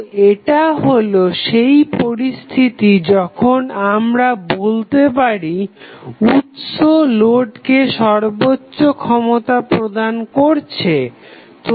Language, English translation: Bengali, So, this was the condition when we say that the source is delivering maximum power to the load